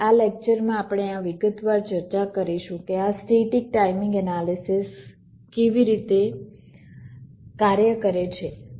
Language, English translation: Gujarati, in this lecture we shall be discussing in some detail how this static timing analysis works